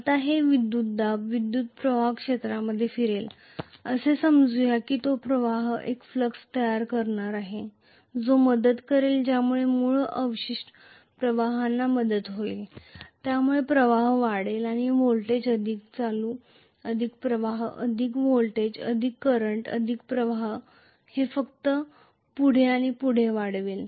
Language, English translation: Marathi, Now, that voltage will circulate the current through the field, let us assume that, that current is going to create a flux, which will aid, which will aid the original residual flux, so the flux will increase, more voltage, more current, more flux, more voltage, more current, more flux, it will simply build up further and further